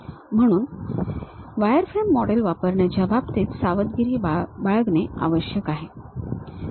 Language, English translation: Marathi, So, one has to be careful in terms of using wireframe models